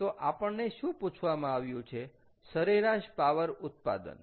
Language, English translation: Gujarati, we are ask: what is the average power output